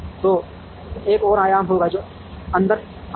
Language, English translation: Hindi, So there will be one more dimension that would come in